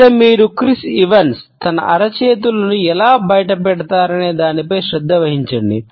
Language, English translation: Telugu, First thing I want you to do with Chris Evans here is pay attention to how he reveals his palms